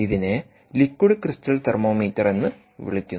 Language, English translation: Malayalam, its called liquid crystal thermometer